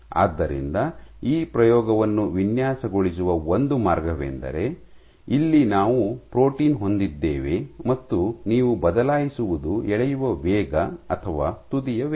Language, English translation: Kannada, So, one way of designing that experiment would be here we are protein and what you change what you change is the rate of pulling or the tip speed